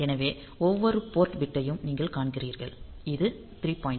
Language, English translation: Tamil, So, you see that every port bit; so this 3